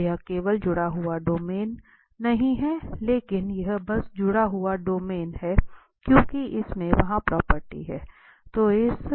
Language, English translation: Hindi, So, therefore, this is not simply connected domain, but this one is simply connected domain because it has that property